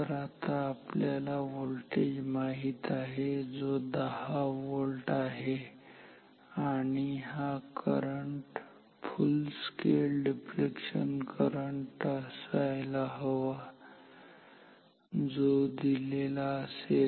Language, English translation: Marathi, So, this is 10 volt and we want this current to be FSD current full scale deflection current which is given as